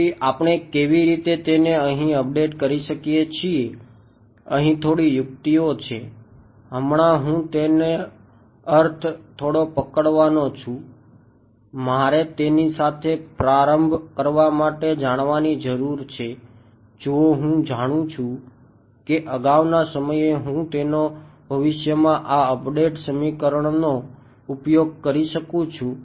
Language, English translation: Gujarati, So, how can we update this there is a little bit of trick here now right I mean little bit of catch I need to know this guy to begin with only if I know it at a previous time instance can I use this update equation in the future